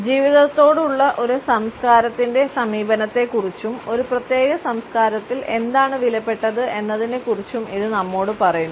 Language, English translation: Malayalam, It also tells us about a culture’s approach to life and what is valuable in a particular culture